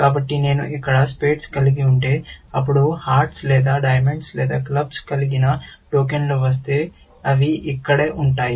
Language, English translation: Telugu, So, if I had spades here, then if a token with hearts or diamonds or clubs come, it will just sit here